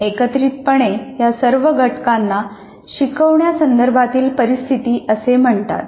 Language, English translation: Marathi, So collectively all the factors together are called instructional situation